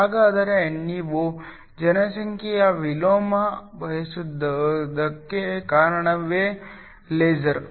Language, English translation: Kannada, So, is the reason why you want population inversion the case of a laser